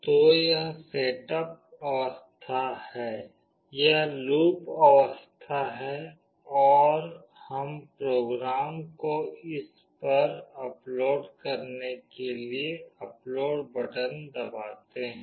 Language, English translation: Hindi, So, this is the setup phase, this is the loop phase and we press on the upload button to upload the program to it